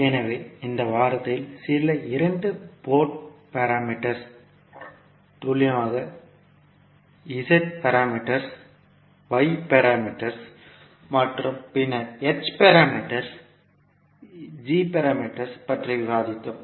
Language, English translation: Tamil, Namaskar, so in this week we discussed about few two Port parameters precisely Z parameters, Y parameters and then H parameters, G parameters